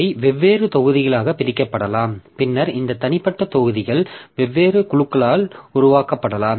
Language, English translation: Tamil, So, they may be divided into different modules and then this individual modules may be developed by different groups